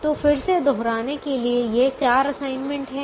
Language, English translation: Hindi, so again to repeat, these are the four assignments